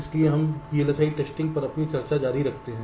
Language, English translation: Hindi, so here we continue with our discussion on v l s i testing